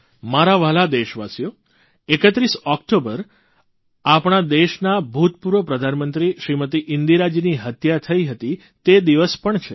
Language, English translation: Gujarati, My dear countrymen, on 31st October, on the same day… the former Prime Minister of our country Smt Indira ji was assasinated